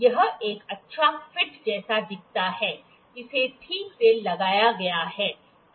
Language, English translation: Hindi, It is looks like a good fit; it is fitting properly